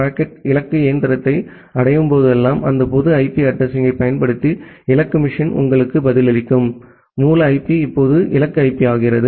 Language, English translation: Tamil, And whenever the packet reaches to the destination machine, the destination machine reply back to you by using that public IP address; the source IP now become the destination IP